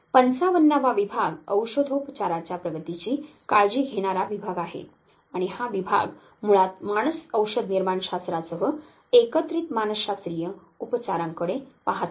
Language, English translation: Marathi, The 55th division is the division that takes care of the advancement of pharmacotherapy and this very division basically looks at the psychological treatment combined with psychopharmacological medications